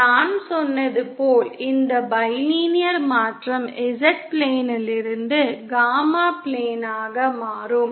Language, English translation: Tamil, As I said this bilinear transformation will convert from the Z plane to the gamma plane